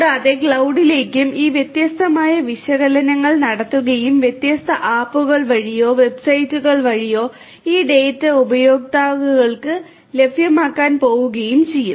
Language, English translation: Malayalam, And will come to the cloud and at the cloud this different analytics will be performed and through different apps or through websites and so on this data are going to be made available to the users